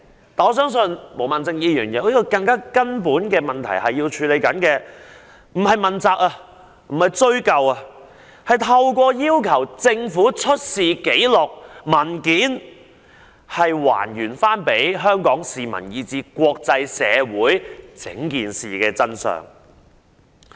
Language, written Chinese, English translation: Cantonese, 但是，我相信毛孟靜議員要處理的是更根本的問題，並非要向官員問責和追究責任，而是要透過要求政府出示紀錄和文件，向香港市民以至國際社會還原事件的真相。, However I believe Ms Claudia MOs intent is to tackle a more fundamental problem instead of holding officials accountable and responsible . The request for the Government to produce records and documents is to uncover the truth of the incident to Hong Kong people and the international community